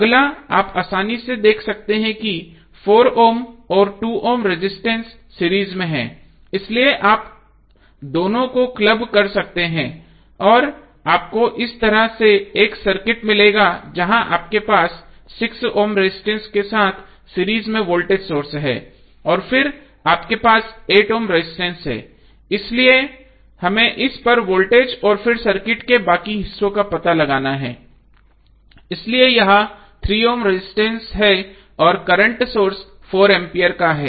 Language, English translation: Hindi, So, across AB your updated circuit would be like this next what we have to do, you have to, you can see easily that 4 ohm and 2 ohm resistances are in series so you can club both of them and you will get circuit like this where you have voltage source in series with 6 ohm resistance and then you have 8 ohm resistance, so we have to find out the voltage across this and then the rest of the circuit, so that is the 3ohm resistance, and the current source of 4 ampere